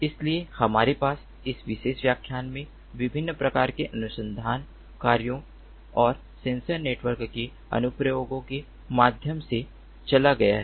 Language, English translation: Hindi, so we have, in this particular lecture, gone through different flavors of research works and applications of sensor networks